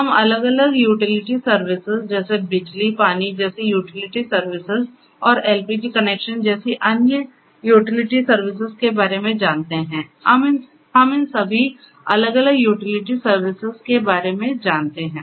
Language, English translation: Hindi, We know of different utility services utility services such as electricity, utility services such as water and so many different other utility services such as LPG connections right, so we know of all these different utility services